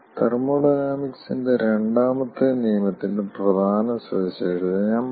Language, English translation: Malayalam, i will give the salient feature of second law of thermodynamics